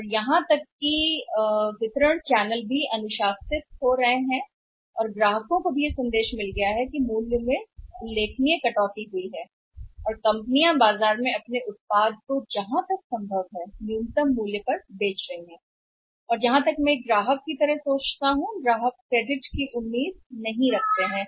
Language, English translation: Hindi, And even the distribution channels are becoming discipline and customers are also have got the message that when the price has got the same remarkable cut and the companies are selling their product in the market is the minimum possible price then I think as a customer also they cannot expect any credit